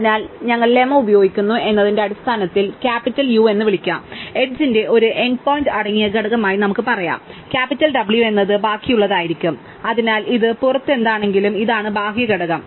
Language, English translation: Malayalam, So, in terms we are using the lemma, let us call capital U to be the component containing one end point of the edge and capital W to be the rest, whatever is outside this, so this is whatever is outside component